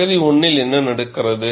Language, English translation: Tamil, What happens in region 1